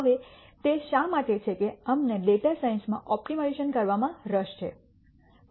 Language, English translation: Gujarati, Now, why is it that we are interested in optimization in data science